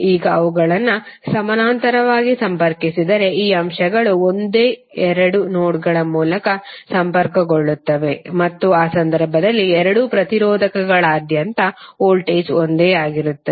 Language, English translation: Kannada, Now if those are connected in parallel then this elements would be connected through the same two nodes and in that case the voltage across both of the resistors will be same